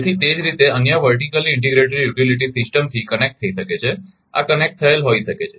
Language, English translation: Gujarati, So, similarly it may be connected to other vertically integrated utility system, this may be connected